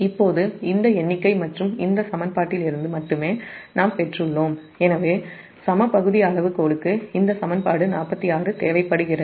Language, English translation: Tamil, now, from this figure only and this equation, we have derived that therefore the equal area criterion requires that equation forty six